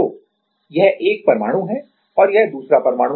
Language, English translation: Hindi, So, this is the one atom and this is another atom right